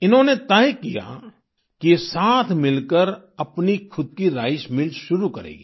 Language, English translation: Hindi, They decided that collectively they would start their own rice mill